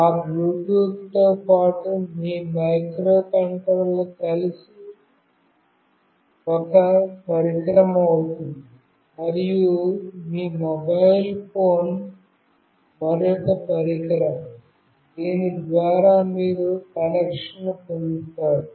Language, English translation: Telugu, Your microcontroller along with that Bluetooth becomes one device, and your mobile phone is another device through which you will be making the connection